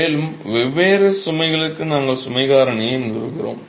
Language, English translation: Tamil, And for different loads, we establish the load factor